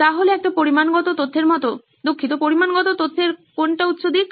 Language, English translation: Bengali, So, like a quantitative data, sorry, quantitative data is what is the high side